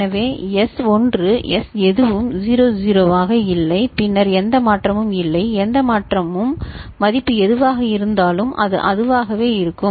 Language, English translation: Tamil, So, S1 S naught being 00 then there is no change; no change means whatever is the value it will be the same right